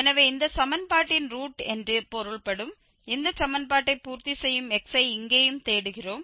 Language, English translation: Tamil, So, here also we are looking for x which satisfy this equation that means that is the root of this equation